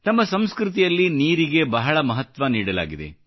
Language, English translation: Kannada, Water is of great importance in our culture